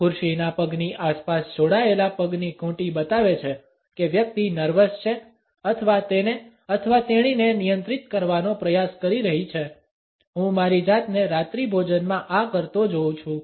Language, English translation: Gujarati, Ankles hooked around the chair legs shows the person is nervous or trying to control him or herself; I find myself doing this at dinner a lot